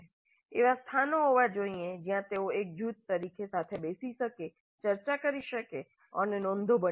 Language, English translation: Gujarati, There must be places where they can sit together as a group discussed and the instructor must be able to monitor they can make notes